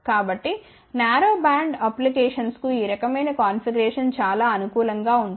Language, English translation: Telugu, So, this type of configuration is very suitable for narrowband applications